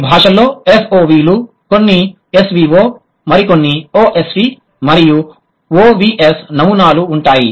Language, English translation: Telugu, Some of the language are SOV, some are SVO, some others are OSV and OVA